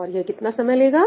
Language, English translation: Hindi, And what is the time taken